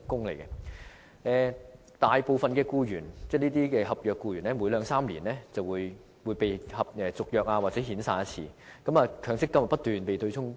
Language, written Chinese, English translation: Cantonese, 由於大部分合約僱員每兩三年便會被遣散或重新簽訂合約，他們的強積金便不斷被對沖。, Since most of the contract staff will be dismissed or required to sign a new contract every two or three years their MPF benefits will be offset on a frequent basis